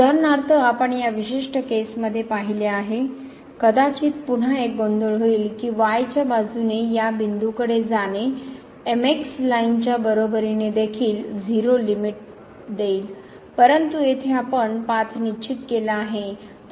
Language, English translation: Marathi, For example, we have seen in this particular case, one might again get confused that approaching to this point along is equal to line will also give limit as 0, but here we have fixed the path